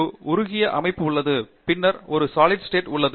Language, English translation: Tamil, There is a molten state, then there is liquid state, and then there is a solid state